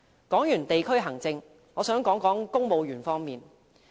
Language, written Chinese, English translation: Cantonese, 談過地區行政後，我想談談公務員方面。, After district administration I would like to talk about the Civil Service